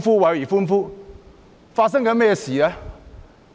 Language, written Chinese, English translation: Cantonese, 究竟發生了甚麼事？, What had actually happened?